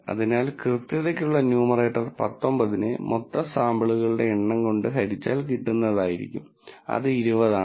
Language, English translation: Malayalam, So, the numerator for accuracy will be 19 divided by the total number of samples, which is 20